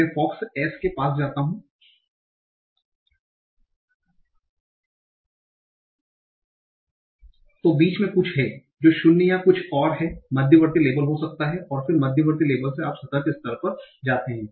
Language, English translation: Hindi, I go to Fox as there is something in between that may be null or something else intermediate label and then from intermediate label you go to the surface label